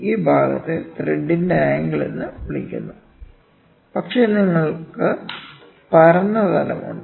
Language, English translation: Malayalam, This is this portion is called the angle of thread so, but you have flat plane